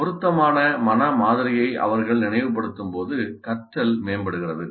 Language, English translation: Tamil, So learning is enhanced when they recall appropriate mental model